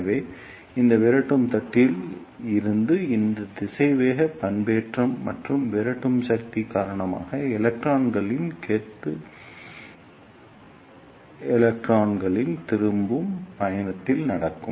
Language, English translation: Tamil, So, because of this velocity modulation and repulsive force from this repeller plate, the bunching of electrons will take place in the return journey of the electrons